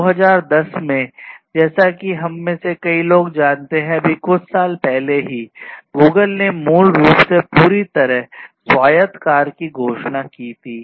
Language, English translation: Hindi, In 2010, as many of us know just still few years back, Google basically announced the fully autonomous car, full autonomous car